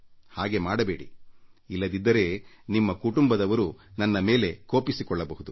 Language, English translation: Kannada, Please, do not do that, else your family members will be displeased with me